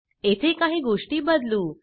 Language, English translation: Marathi, Let me change a few things here